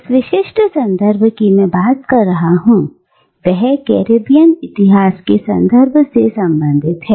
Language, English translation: Hindi, And this specific context that I am talking about, is a context of Caribbean history